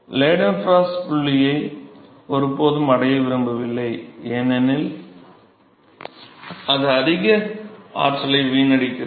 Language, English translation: Tamil, Never want to reach the Leidenfrost point because it is too much waste of energy, ok